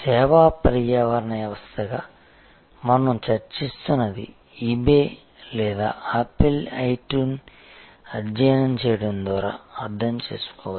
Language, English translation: Telugu, I think what we have been discussing as service ecosystem can be of course, understood by studying eBay or apple itune